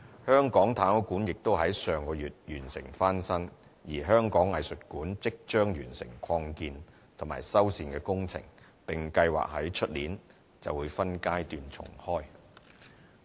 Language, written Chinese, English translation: Cantonese, 香港太空館亦已於上月完成翻新，而香港藝術館即將完成擴建及修繕工程並計劃於明年起分階段重開。, Renovation of the Hong Kong Space Museum finished last month; the expansion and renovation of the Hong Kong Museum of Art will soon be brought to a conclusion allowing it to be reopened by stages next year